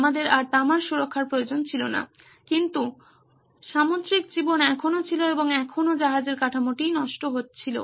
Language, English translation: Bengali, We did not need copper protection any more but marine life was still there and there were still ruining the ships hull